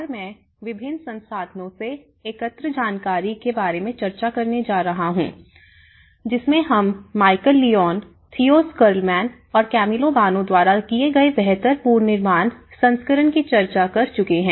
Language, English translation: Hindi, And, I am going to discuss about information gathered from various resources; one is, the earlier discussed version of build back better by Michael Leone and Theo Schilderman and as well as with Camillo Boano